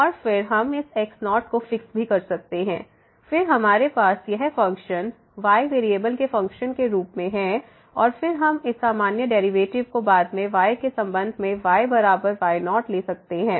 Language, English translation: Hindi, And again, we can also take like fixing this naught, then we have this function as a function of one variable and then we can take this usual derivative with respect to at is equal to later on